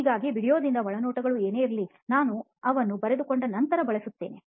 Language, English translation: Kannada, So whatever the insights from the video, I used to note it down and then refer it later